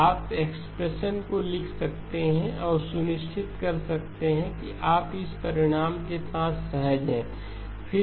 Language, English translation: Hindi, So you can write down the expressions and make sure that you are comfortable with this result